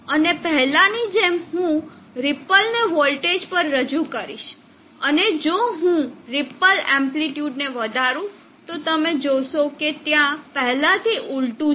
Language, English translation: Gujarati, And as before I will introduce the ripple on a voltage and if I extent the ripple amplitude you will see that there is an inversion already